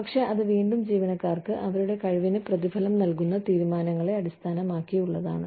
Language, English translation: Malayalam, But, that again, goes in to deciding, how you reward employees, for their competence